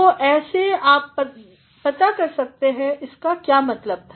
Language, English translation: Hindi, So, this is how you can find how it has been intended